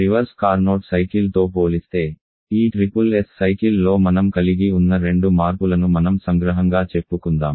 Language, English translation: Telugu, Let me just summarise the two changes that you are having in this SSS cycle compared to the reverse Carnot cycle